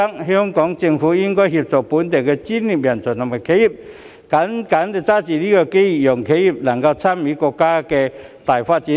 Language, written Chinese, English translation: Cantonese, 香港政府應協助本地專業人才及企業積極抓緊新機遇，讓企業能夠參與國家的大發展。, The Hong Kong Government should assist local professional talents and enterprises in actively seizing any new opportunities so that enterprises may take part in the overall development of the country